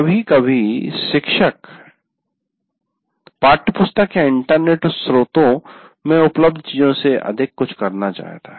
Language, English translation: Hindi, And sometimes a teacher may want to do something more than what is available in a textbook or internet source